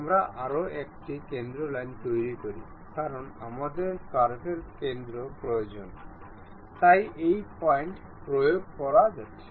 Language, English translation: Bengali, We construct one more center line, ok because we require center of the curve, so this is the point